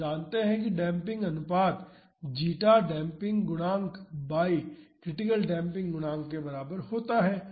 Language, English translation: Hindi, We know that the damping ratio zeta is equal to the damping coefficient divided by the critical damping coefficient